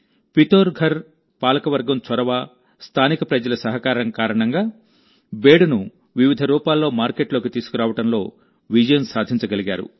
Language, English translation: Telugu, With the initiative of the Pithoragarh administration and the cooperation of the local people, it has been successful in bringing Bedu to the market in different forms